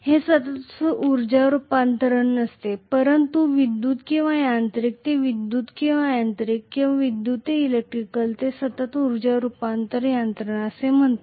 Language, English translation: Marathi, It is not a continuous energy conversion whereas generator or motor is a continuous energy conversion mechanism from electrical to mechanical or mechanical to electrical